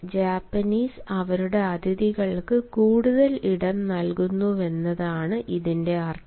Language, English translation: Malayalam, the meaning is that the japanese, they allow more room to their guests and that is how they treat